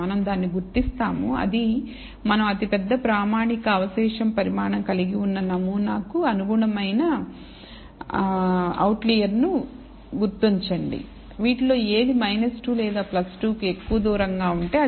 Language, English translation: Telugu, Which is we identify the outlier that corresponds to the sample with the largest standard standardized residual magnitude; which of which is furthest away from minus 2 or plus 2